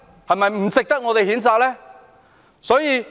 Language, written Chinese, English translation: Cantonese, 是否不值得我們譴責呢？, Do they not deserve our condemnation?